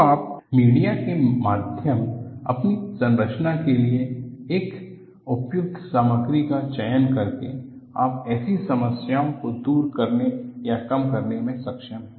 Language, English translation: Hindi, So, you have a via media by selecting an appropriate material for your structure, you are able to overcome or minimize such problems